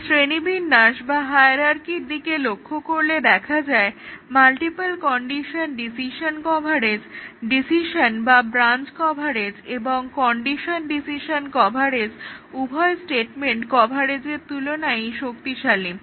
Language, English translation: Bengali, If we look at the hierarchy, the multiple condition decision coverage is stronger than both statement coverage, the decision or branch coverage, the condition decision coverage